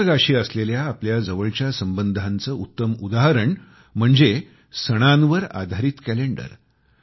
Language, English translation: Marathi, A great example of the interconnection between us and Nature is the calendar based on our festivals